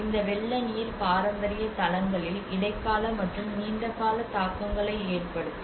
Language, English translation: Tamil, And this flood water will have both the mid term and the long term impacts